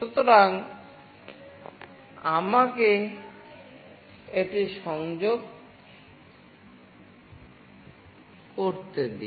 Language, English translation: Bengali, So, let me connect it